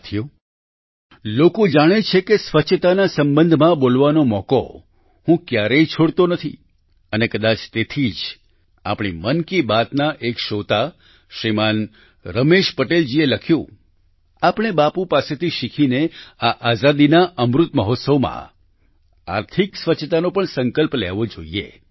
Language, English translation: Gujarati, people know that I don't ever let go any chance to speak in connection with cleanliness and possibly that is why a listener of 'Mann Ki Baat', Shriman Ramesh Patel ji has written to me that learning from Bapu, in this "Amrit Mahotsav" of freedom, we should take the resolve of economic cleanliness too